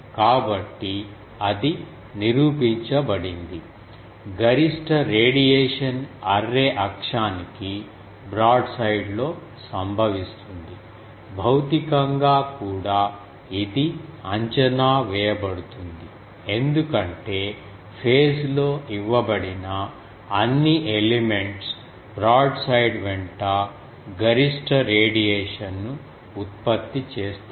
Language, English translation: Telugu, So, it is proved that; the maximum radiation occurs broadside to the array axis, physically also this is expected as all elements fed in phase should be producing maximum radiation along the broadside